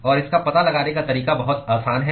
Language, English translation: Hindi, And the way to find out is very simple